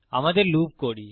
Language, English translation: Bengali, Do our loop